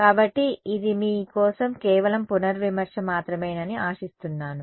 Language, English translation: Telugu, So, this hopefully it is just a revision for you